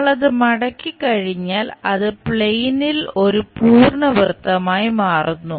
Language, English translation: Malayalam, Once we fold that, it forms complete circle on the plane